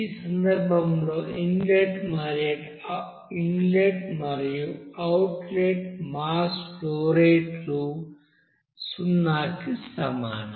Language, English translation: Telugu, In this case inlet and outlet, outlet mass flow rate will be equals to 0